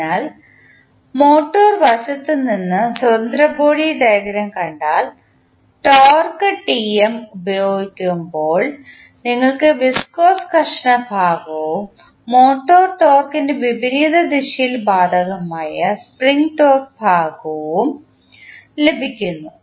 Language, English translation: Malayalam, So, from the motor side, if you see the free body diagram you will see that the torque Tm when it is applied, you will have the viscous friction part plus spring torque part applicable in the opposite direction of the motor torque applied